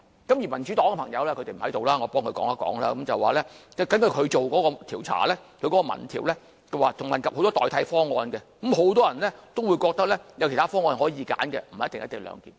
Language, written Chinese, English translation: Cantonese, 至於民主黨的朋友——他們並不在座，我替他們說一說——所進行的民意調查，問及很多代替方案，很多人都覺得有其他方案可供選擇，不一定是"一地兩檢"。, On behalf of Members from the Democratic Party perhaps I can say something for them as they are not present at this moment . The survey conducted by the Democratic Party covered many alternative proposals in which many respondents believed co - location should not be the only option with other proposals available . Both sides insist they are right of course and a consensus is never possible